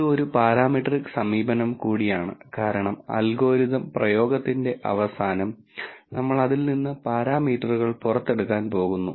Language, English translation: Malayalam, It is also a parametric approach since at the end of the application of the algorithm we are going to get parameters out of it